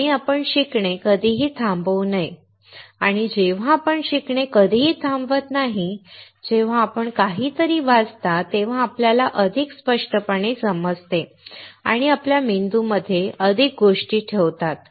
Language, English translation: Marathi, And we should never stop learning, and when you never stop learning, when you read something, you understand more clearly, and put more things in your brain